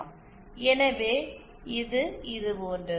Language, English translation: Tamil, So, it is like this